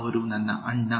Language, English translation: Kannada, He’s my older brother